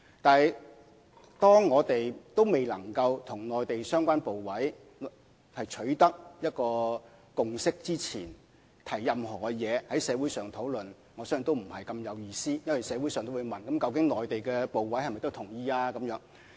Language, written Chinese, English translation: Cantonese, 但是，當我們仍未能與內地相關部委取得共識之前，在社會上提出任何意見進行討論，我相信也意思不大，因為社會上也會問究竟內地相關部委是否同意。, However before we can reach a consensus with the relevant Mainland authorities I think there is not much meaning in putting forward any view for discussion in society because members of the community may question whether the consent of the Mainland authorities has been sought